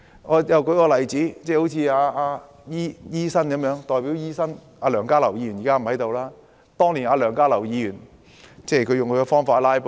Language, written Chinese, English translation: Cantonese, 我再舉一個例子，當年代表醫學界的前議員梁家騮用他的方法"拉布"。, I cite another example . Dr LEUNG Ka - lau a former legislator representing the Medical FC had previously adopted his own way of filibustering